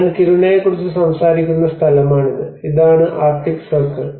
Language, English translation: Malayalam, So this is the place where I am talking about Kiruna and this is the arctic circle